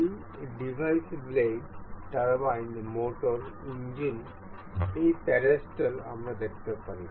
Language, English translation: Bengali, This device includes blades, turbines, motor, engine, this pedestal we can see